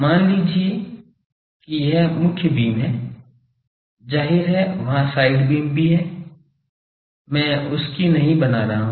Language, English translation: Hindi, Suppose this is the main beam; obviously, there are side beams I am not drawing that